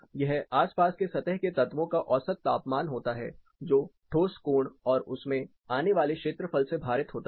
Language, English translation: Hindi, It is nothing but, average temperature of surrounding surface elements weighted by the solid angle and the area it subtends